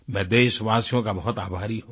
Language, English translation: Hindi, I am very grateful to the countrymen